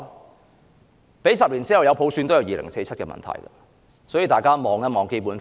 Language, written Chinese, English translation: Cantonese, 即使10年後有普選，還有2047的問題存在，所以，大家要先看看《基本法》。, Even if there is universal suffrage 10 years later the issue of 2047 will still be there . That is why we have to look at the Basic Law first